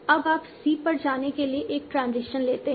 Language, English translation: Hindi, Now you have to take a transition to go to c1